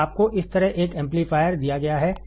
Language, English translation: Hindi, So, you have been given an amplifier like this